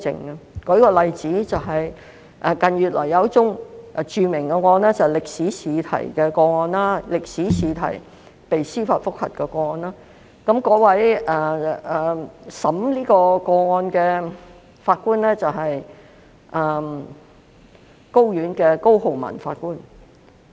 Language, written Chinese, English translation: Cantonese, 我舉一個例子，近月有一宗著名案件，就是歷史科試題的司法覆核案件，負責審理的法官是高等法院的高浩文法官。, Let me cite an example . A well - known case in recent months was the judicial review in respect of a history exam question . The case was heard by Judge COLEMAN of the High Court